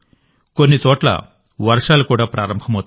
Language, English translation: Telugu, It would have also start raining at some places